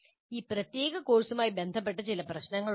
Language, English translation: Malayalam, There is some issue with regard to this particular course itself